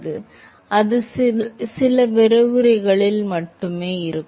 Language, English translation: Tamil, it was then few lectures back